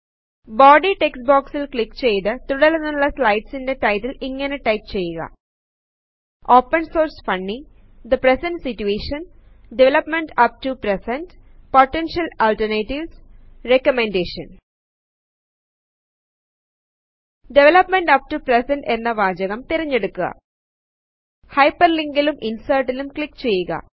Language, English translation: Malayalam, Click on the Body text box and type the titles of the succeeding slides as follows: Open Source Funny The Present Situation Development up to present Potential Alternatives Recommendation Select the line of text Development up to present